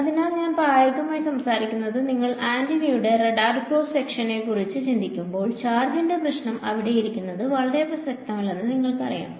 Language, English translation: Malayalam, So, we practically speaking when you think of antennas radar cross section of antennas you know the issue of charge is sitting out there is not very relevant ok